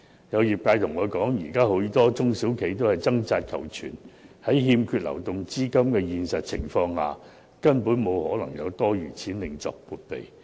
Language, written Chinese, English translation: Cantonese, 有業界向我反映，現時許多中小企都在掙扎求存，在欠缺流動資金的情況下，根本不可能有多餘資金另作撥備。, Some members of the trade have relayed to me that many small and medium enterprises are struggling to survive . Given the lack of cash flows it is simply impossible for them to set aside an extra amount of money as provision